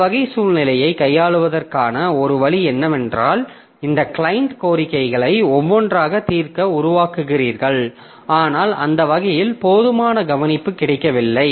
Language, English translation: Tamil, So, one way for handling this type of situation is that you create, you serve this client requests one by one, but that way somebody may feel that, okay, I am not getting enough care or enough attention